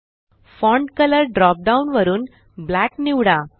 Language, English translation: Marathi, From the Font Color drop down, select Black